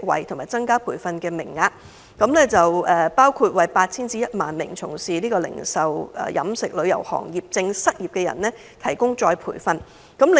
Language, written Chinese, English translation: Cantonese, 第一，增加培訓名額，包括為 8,000 至 10,000 名原本從事零售、飲食或旅遊業的失業人士提供再培訓課程。, Firstly training quotas were increased to provide among others retraining to 8 000 to 10 000 unemployed persons who had lost their jobs in the retail restaurant or tourism industries